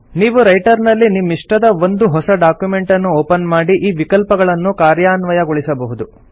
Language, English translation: Kannada, You can open a new document of your choice in Writer and implement these features